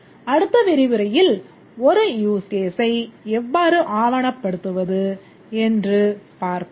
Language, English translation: Tamil, In the next lecture, we'll see how to document a huge case